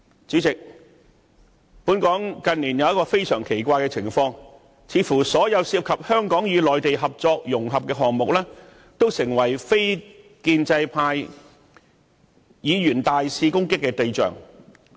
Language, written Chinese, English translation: Cantonese, 主席，本港近年有一種非常奇怪的情況，就是似乎所有涉及香港與內地合作融合的項目，均成為非建制派議員大肆攻擊的對象。, Chairman it is weird that in recent years all projects relating to the cooperation and integration of Hong Kong and the Mainland have apparently fallen prey to the assault of the non - establishment Members